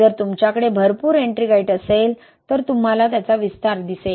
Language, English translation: Marathi, If you have a lot of Ettringite, you will see expansion